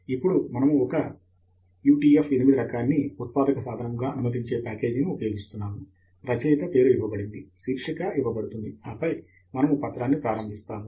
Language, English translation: Telugu, Then, we are using a package that would allow a utf8 type of an input, author name is given, title is given, and then, we start the document